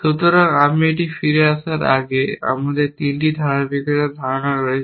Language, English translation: Bengali, So, before I come back to this, we have a notion of 3 consistency which is known as path